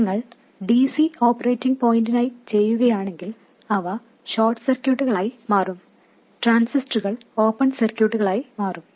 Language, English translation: Malayalam, If you do for DC operating point they will become short circuits and capacitors will become open circuits